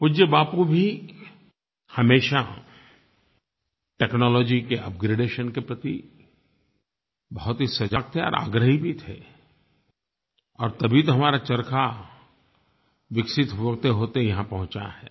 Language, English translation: Hindi, Respected Bapu was always aware and insistent of technological upgradation and also remained in the forefront for the same